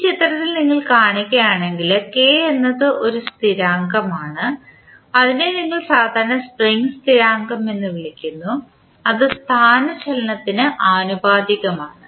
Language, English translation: Malayalam, If you see in this figure, K is one constant which we generally call it a spring constant and then it is directly proportional to the displacement